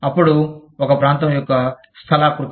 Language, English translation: Telugu, Then, the topography of a region